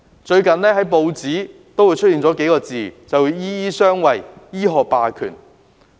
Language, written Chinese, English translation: Cantonese, 最近報章經常出現"醫醫相衞"、"醫學霸權"這些說法。, Recently such views as doctors shielding each other and the hegemony of the medical profession have frequently appeared in the press